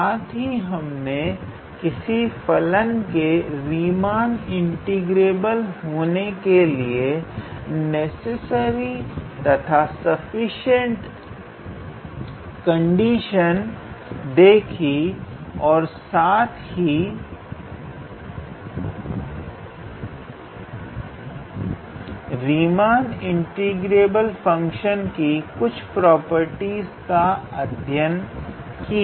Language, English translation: Hindi, We also saw that the necessary and sufficient condition for a function to be Riemann integrable and some properties associated with Riemann integrable function